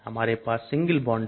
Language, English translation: Hindi, We have single bond